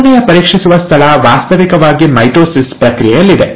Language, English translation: Kannada, The third checkpoint is actually in the process of mitosis